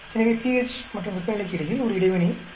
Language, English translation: Tamil, So, there is an interaction between pH and temperature